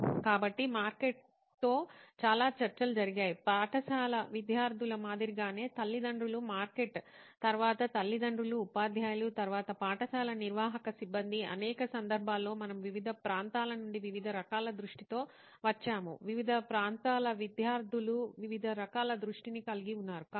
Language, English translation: Telugu, So even there is a lot of talking that has been done with the market, parents market as in the school students, then the parents, teachers, then the school admin staff in numerous occasions where we have come with different types of insights from different regions students from different regions have different types of insights